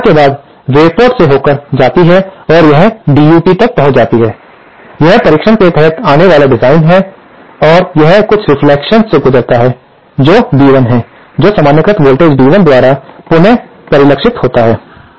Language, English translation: Hindi, Now, after the incident wave travels to the through port and it reaches the DUT, that is the device under test and that it undergoes some reflection which is B1 which is revisited by the normalised voltage B1